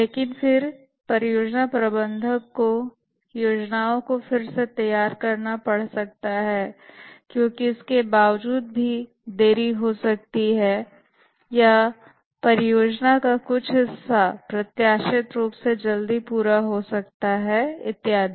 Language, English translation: Hindi, But then the project manager might have to rework the plan because even in spite of that there will be delays or there may be some part of the project may get completed quickly than anticipated and so on